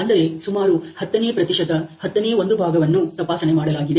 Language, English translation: Kannada, So, one tenth about tenth percent is inspected